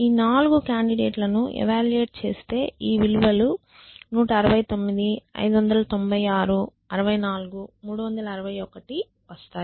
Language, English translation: Telugu, So, if you want to evaluate this 4 candidates the values that we will get 169 596 64 361